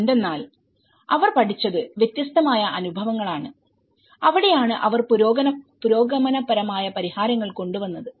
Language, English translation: Malayalam, Because they have considered a different experiences what they have learned and that is where they have come up with a progressive solutions